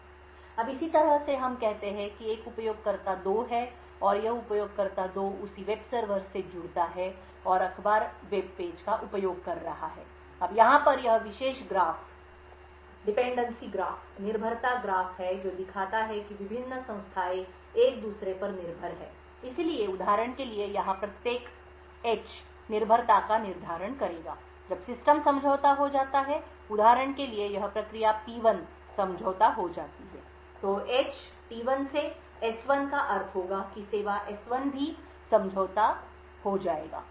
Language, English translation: Hindi, Now in a similar way let us say there is a user two and this user 2 connects to the same web server and is using the newspaper web page, now this particular graph over here is the dependency graph which shows how the various entities are dependent on each other, so for example each H over here would determine the dependence when the system gets compromised, example it process P1 gets compromised, then the H from T1 to S1 would imply that the service S1 would also get compromised